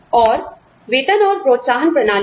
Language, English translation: Hindi, And, pay and incentive systems